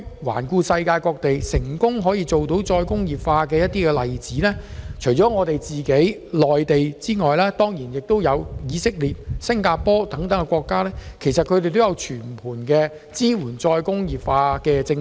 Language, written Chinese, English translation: Cantonese, 環顧世界各地成功再工業化的例子，除了內地外，便要數以色列及新加坡等國家，他們均有訂定全盤支援再工業化的政策。, Looking at the successful examples around the world apart from the Mainland we have Israel and Singapore . They have all formulated policies to support re - industrialization in a holistic manner